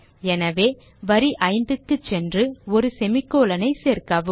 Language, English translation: Tamil, So go to the fifth line and add a semicolon